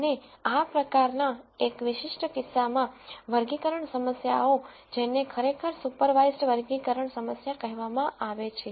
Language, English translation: Gujarati, And in a typical case in these kinds of classification problems this is actually called as supervised classification problem